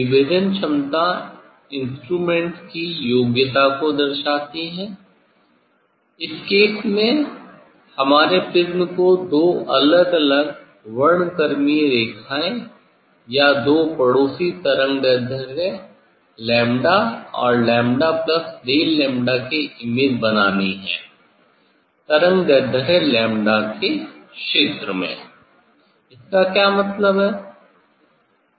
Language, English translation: Hindi, resolving power signifies the ability of the instrument in this case our prism to form separate spectral lines or images of two neighbouring wavelengths lambda and lambda plus del lambda, in the wavelength region lambda, what does it mean